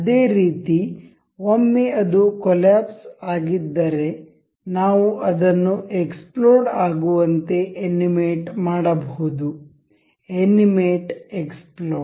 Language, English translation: Kannada, Similarly, in case once it is collapsed, we can also animate it as exploded, animate explode